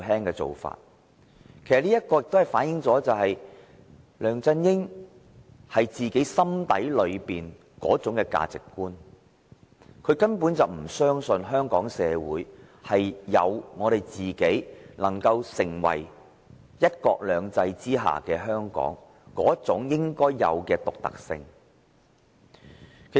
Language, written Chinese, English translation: Cantonese, 此事正正反映梁振英心底的價值觀，就是他根本不相信香港社會具有能夠成為"一國兩制"下的香港的應有獨特性。, The incident has accurately reflected the values held by LEUNG Chun - ying at heart that he does not trust Hong Kong society possesses the uniqueness to be the Hong Kong under one country two systems